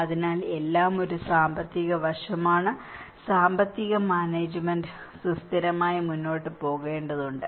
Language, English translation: Malayalam, So, everything is an economic aspect; the economic management has to proceed in a sustainable